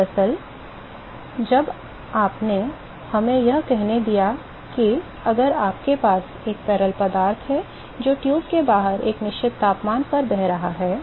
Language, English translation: Hindi, Actually when you have let us say if you have a fluid which is flowing outside the tube which is at a certain temperature